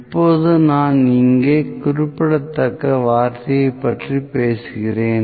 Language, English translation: Tamil, Now, I am talking about the word significant here